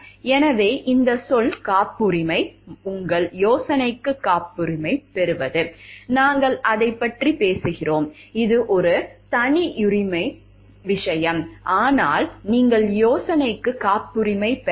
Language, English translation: Tamil, So, this word patent, patenting your idea, we are talking of it is a proprietary thing, but you have not patented the idea